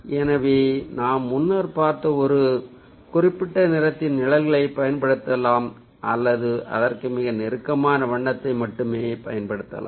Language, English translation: Tamil, so we can either use the shades of a particular color that we have seen earlier or we can just use a close color that is, ah, very close to it